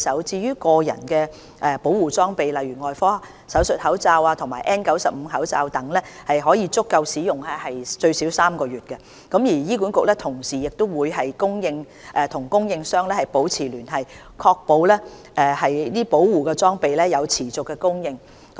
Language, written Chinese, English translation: Cantonese, 至於個人保護裝備儲備，例如外科手術口罩及 N95 口罩等，可足夠使用最少3個月，醫管局同時會與供應商保持聯繫，確保保護裝備有持續供應。, As regards personal protective equipment such as surgical masks and N95 masks the current stockpile is adequate for at least three months consumption . Meanwhile HA will maintain close liaison with the suppliers to ensure sustainable supply of protective equipment